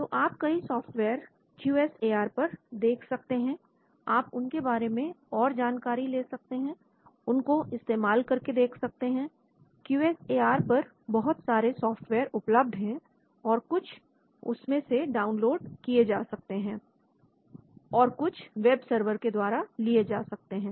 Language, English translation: Hindi, So lot of softwares you can see on QSAR you can start exploring as you can see this , a lot of softwares are there in QSAR and some of them are downloadable and some of them are based through the webserver